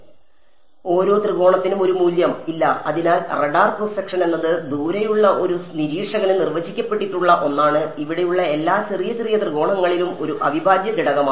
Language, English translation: Malayalam, A value for each triangle at; no; so, the radar cross section is something that is defined for a observer far away is an integral over every little little triangle over here